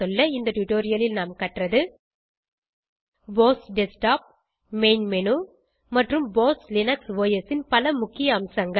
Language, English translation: Tamil, In this tutorial we learnt about the BOSS Desktop, the main menu and many important features of BOSS Linux OS